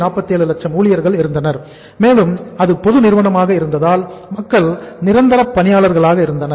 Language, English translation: Tamil, 47 lakh people and they almost because it is a public sector company they are the permanent employees